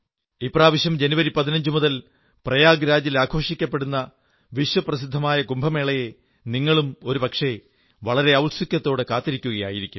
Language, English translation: Malayalam, This time the world famous Kumbh Mela is going to be held in Prayagraj from January 15, and many of you might be waiting eagerly for it to take place